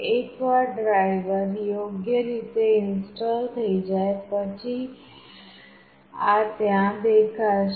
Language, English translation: Gujarati, Once the diver is correctly installed this will be shown there